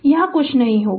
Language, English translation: Hindi, So, there will be nothing here